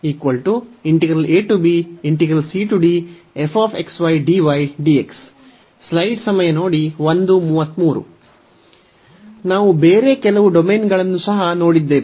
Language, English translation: Kannada, We have also seen some other domain